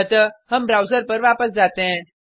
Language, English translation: Hindi, So, we can go back to the browser